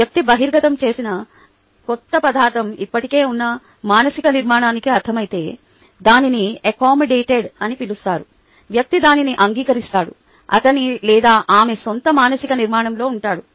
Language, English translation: Telugu, if the new material where the person is exposed to makes sense to the existing mental structure, it is accommodated, its called, the person can be accept, it accommodates into his or her own ah mental structure